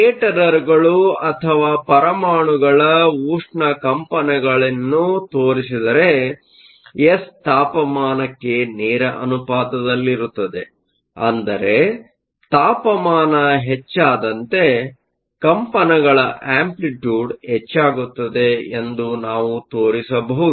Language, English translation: Kannada, We can show that if your scatterers or your thermal vibration of the atoms then S is proportional to the temperature, which means as temperature increases, the amplitude of the vibrations increase